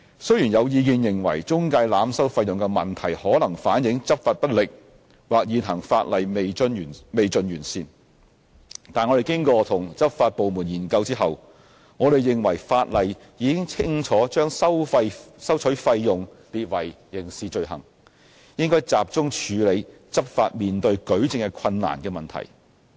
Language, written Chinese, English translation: Cantonese, 雖然有意見認為中介濫收費用的問題可能反映執法不力或現行法例未盡完善，但經與執法部門研究後，我們認為法例已清楚將收取費用列為刑事罪行，應該集中處理執法面對舉證困難的問題。, While there are views that the problem of overcharging by intermediaries may reflect that law enforcement has been ineffective or the existing legislation still has room for improvement after conducting studies with the enforcement agencies we are of the view that as the Ordinance has clearly made it a criminal offence to charge fees we should focus on addressing the difficulties in adducing evidence for the purposes of law enforcement